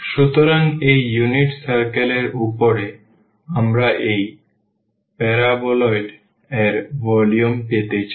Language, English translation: Bengali, So, above this unit circle, we want to get the volume of this paraboloid